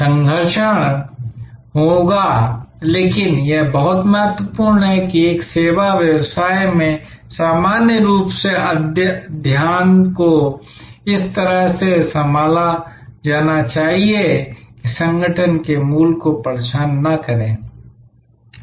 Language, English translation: Hindi, There will be attrition, but it is very important that in a service business, that usual attrition has to be handled in such a way, that it does not disturb the core of the organization